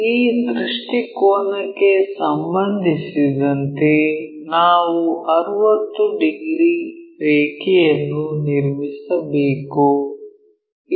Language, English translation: Kannada, So, with respect to this view we have to construct a 60 degrees line